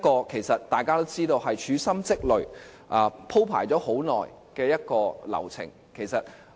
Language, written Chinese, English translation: Cantonese, 其實，大家都知道，這個是處心積慮、鋪排了很久的流程。, Actually we all know that the whole process is under careful planning over a long period of time